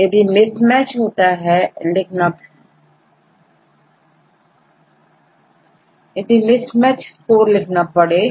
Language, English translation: Hindi, So, if there is a mismatch you can put the mismatch score